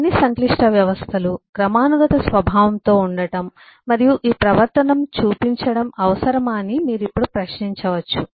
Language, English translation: Telugu, is it necessary that all complex systems be hierarchic in nature and show these behavior